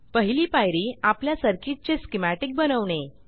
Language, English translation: Marathi, We will create circuit schematics here